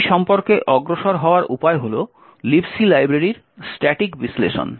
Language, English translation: Bengali, The way to go about it is by static analysis of the libc library